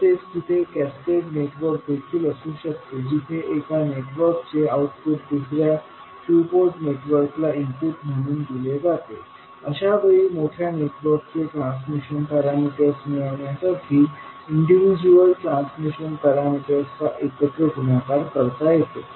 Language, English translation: Marathi, There may be some cascaded networks also where the output of one network goes as an input to other two port network, in that case individual transmission parameters can be multiplied together to get the transmission parameters of the larger network